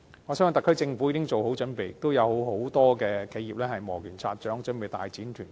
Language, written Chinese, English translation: Cantonese, 我相信特區政府已妥善準備，亦有很多企業磨拳擦掌，準備大展拳腳。, I am sure the SAR Government must be all ready by now and many enterprises are likewise all set to expand their businesses in the Mainland . But I think we must note one point here